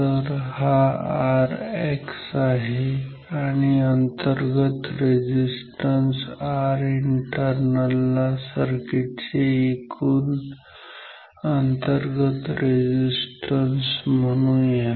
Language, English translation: Marathi, So, this is R X and now let us call R internal equal to total internal resistance of the circuit total internal resistance of the circuit ok